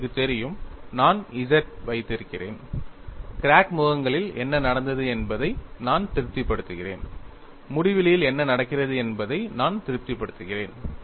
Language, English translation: Tamil, You know, I am having Z, I am satisfying what happens at the crack phasess,; and I am satisfying what happens at the infinity